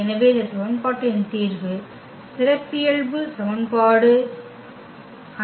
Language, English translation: Tamil, So, the solution of this equation which is called the characteristic equation